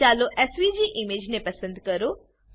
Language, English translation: Gujarati, Lets select SVG image